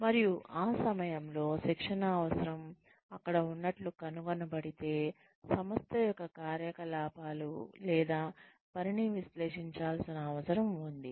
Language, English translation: Telugu, And, if the training need, is found to be there, at that time, then one needs to analyze, the operations or the working, of the organization